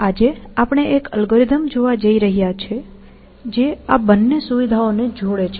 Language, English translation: Gujarati, Today, we want to look at an algorithm, which combines both these features